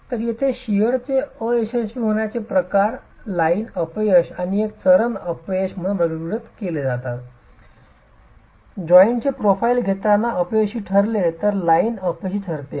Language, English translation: Marathi, So, the type of shear failure here is classified as line failure and a stepped failure is taking the profile of the joints, whereas the line failure just rips through the unit